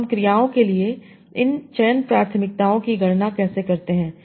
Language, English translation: Hindi, So like, so how do we compute this selection preferences for verbs